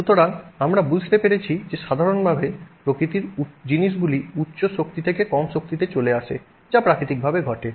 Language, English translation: Bengali, So, we have understood that in general in nature things move from higher energy to lower energy